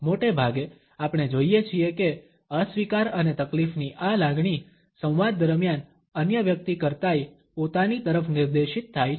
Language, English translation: Gujarati, Often, we find that this feeling of disapproval and distress is directed towards oneself rather towards the other person during the dialogue